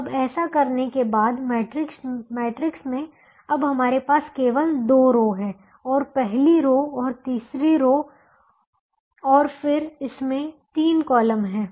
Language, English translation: Hindi, now the remaining part of this matrix has only the first row remaining, only the first row remaining, and it has two columns remaining